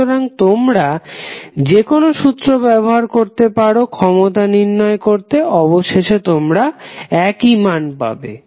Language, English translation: Bengali, So, you can use any formula which you want to use for calculation of power, you will get the same value eventually